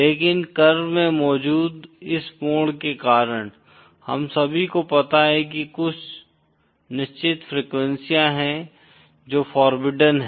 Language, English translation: Hindi, But because of this bend present in the curve, 1st of all we know that there are certain frequencies which are forbidden